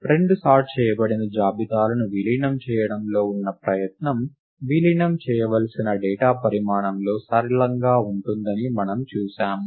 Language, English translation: Telugu, We did see that the effort involved in merging two sorted lists is linear in the size of the data that is to be merged